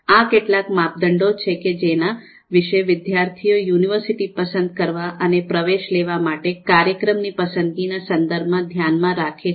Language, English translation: Gujarati, So, these are some of the criteria which a particular student would like to take a look before making a call in terms of selecting a particular university and a program for taking admission